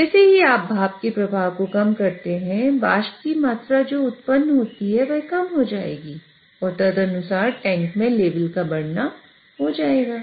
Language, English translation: Hindi, As you reduce the steam flow, the amount of vapor which gets generated will reduce and accordingly you will have the level will start building up into this tank